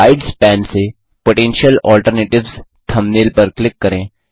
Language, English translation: Hindi, Lets click on the thumbnail Potential Alternatives from the Slides pane